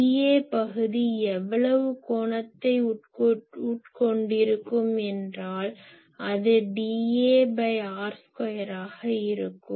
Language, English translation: Tamil, So, d A area will subtend how much angle , this will be d A by r square